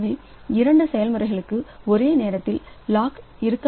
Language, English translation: Tamil, So, two processes cannot have lock simultaneously